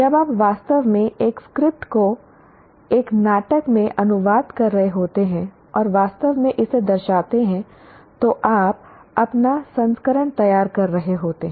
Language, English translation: Hindi, When you are actually translating a script into a play and actually play it, you are producing your own version